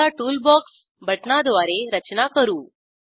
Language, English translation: Marathi, Lets now draw structures using Toolbox buttons